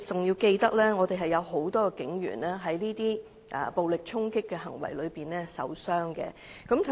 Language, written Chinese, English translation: Cantonese, 要記住，有很多警員在這些暴力衝突中受傷。, It is necessary to bear in mind that many police officers had been injured in those violent conflicts